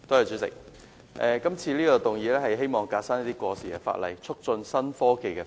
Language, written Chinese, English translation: Cantonese, 主席，今次的議案是"革新過時法例，促進創新科技發展"。, President this motion is Reforming outdated legislation and promoting the development of innovation and technology